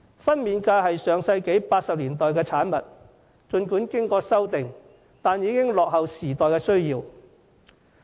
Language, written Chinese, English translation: Cantonese, 分娩假是上世紀1980年代的產物，儘管經過修訂，但已經落後於時代的需要。, Maternity leave is a product of the 1980s that despite some amendments made in the interim is already too outdated to meet the needs of the times